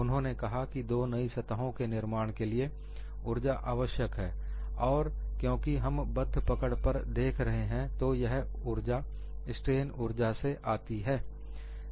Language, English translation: Hindi, He said, the formation of two new surfaces requires energy and this energy since we are looking at fixed grips comes from the strain energy